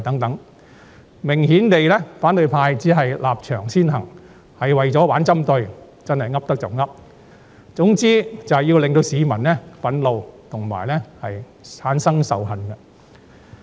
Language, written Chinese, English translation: Cantonese, 反對派明顯地只是立場先行，為了玩針對而"噏得就噏"，總言之，就是要令市民憤怒及產生仇恨。, The opposition camp has obviously put its standpoint before everything and made arbitrary comments in order to start a confrontation . In short they sought to create public grievances and hatred